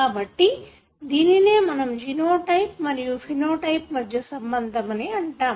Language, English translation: Telugu, So, that is pretty much what you call as genotype and phenotype correlation